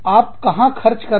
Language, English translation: Hindi, Where do you spend